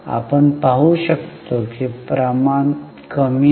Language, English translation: Marathi, And you can see it has gone up